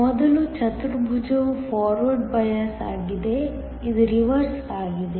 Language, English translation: Kannada, The first quadrant is the forward biased, this one is the reverse